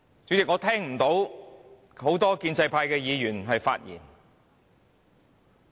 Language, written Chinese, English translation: Cantonese, 主席，今天只有少數建制派議員發言。, President only a few Members from the pro - establishment camp have spoken today